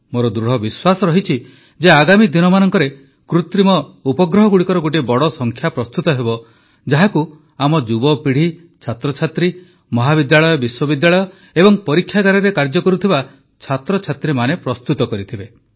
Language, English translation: Odia, And I firmly believe that in the coming days, a large number of satellites would be of those developed by our youth, our students, our colleges, our universities, students working in labs